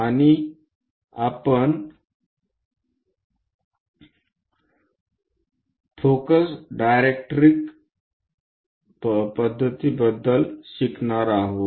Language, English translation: Marathi, And we are going to learn about focus directrix method